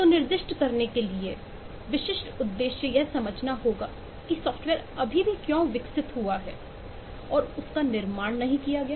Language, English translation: Hindi, so to specify the specific objective would be to understand why software is still developed and not constructed